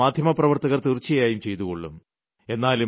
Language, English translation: Malayalam, Our media persons are sure to do that